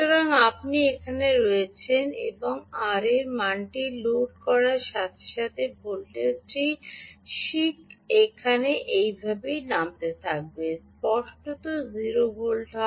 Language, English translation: Bengali, so you are here, and as you keep loading the r value, the voltage will keep dropping